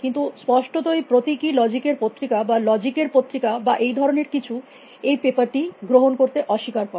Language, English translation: Bengali, apparently the journal of symbolic logic or journal of logic or something, refuse except people